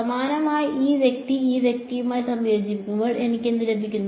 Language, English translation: Malayalam, And similarly, when this guy combines with this guy what do I get